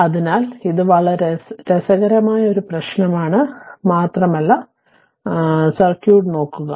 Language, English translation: Malayalam, So, this is very interesting problem and just look at the circuit right